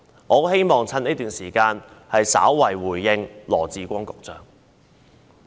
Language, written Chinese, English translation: Cantonese, 我希望藉此機會向羅致光局長稍作回應。, I hope to take this opportunity to respond briefly to Secretary Dr LAW Chi - kwong